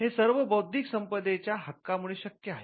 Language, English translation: Marathi, Now, this is possible because of the intellectual property right regime